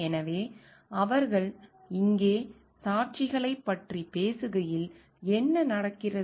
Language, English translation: Tamil, So, while they are talking of witnesses here what happens